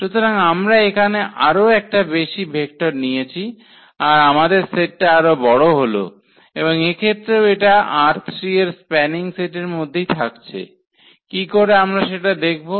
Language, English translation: Bengali, So, we have added one more vector here now our set here is bigger and now again this also forms a spanning set of R 3 that is what we will observe now